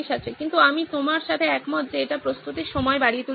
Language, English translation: Bengali, But I agree with you that it may lead to increase in preparation time